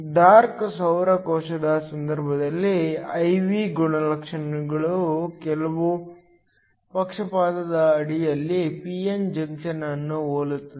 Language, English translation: Kannada, In the case of a dark solar cell the I V characteristic will just resemble a p n junction under bias